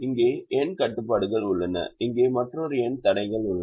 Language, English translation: Tamil, there are n constraints here there are another n constraints here